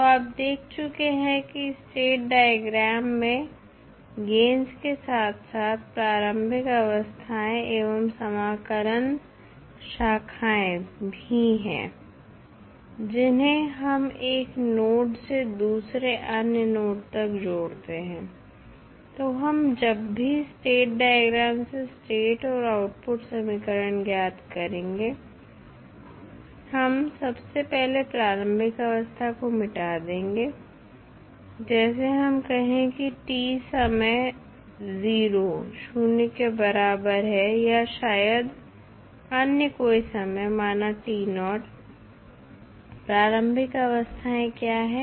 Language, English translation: Hindi, So, in the state diagram you have seen that there are initial states and integrator branches in addition to the gains, which we connect from one node to other node, so when we derive the state and the output equation from the state diagram, we first delete the initial states that is we say like time t is equal to 0 or may be any other time, say t naught what are the initial states